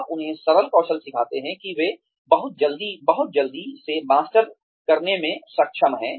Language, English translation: Hindi, You teach them simpler skills, that they are able to master, very, very, quickly